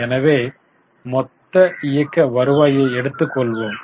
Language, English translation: Tamil, So, let us take total operating revenue